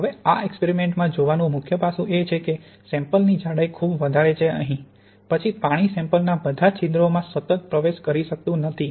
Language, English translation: Gujarati, Now in this experiment the main aspect to look at is the thickness of the sample; is too thick here, then the water cannot continuously penetrate all the pores in the sample